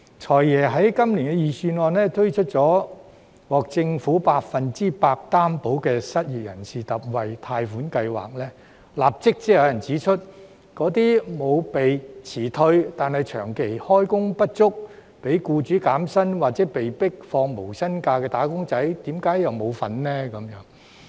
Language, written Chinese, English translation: Cantonese, "財爺"在今年財政預算案推出獲政府百分百擔保的失業人士特惠貸款計劃，立即便有人指出，為甚麼沒有被辭退但長期開工不足、被僱主減薪或被迫放無薪假的"打工仔"並不包括在內。, In the Budget this year the Financial Secretary introduced a special loan scheme for the unemployed which is fully guaranteed by the Government . Yet some people immediately query why wage earners who have not been laid off but have been underemployed for a prolonged period and who have been forced by their employers to take pay cuts or no pay leave are not included